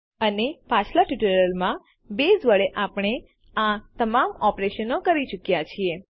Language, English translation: Gujarati, And we have done all of these operations using Base in our previous tutorials